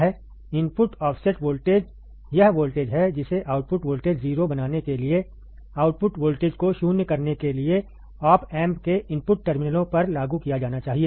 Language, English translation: Hindi, The input offset voltage, is the voltage that must be applied to the input terminals of the opamp to null the output voltage to make the output voltage 0